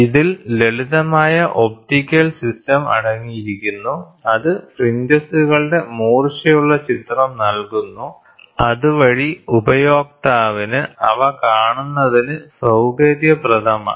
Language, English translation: Malayalam, It comprises a simple optical system, which provides a sharp image of the fringes so that it is convenient for the user to view them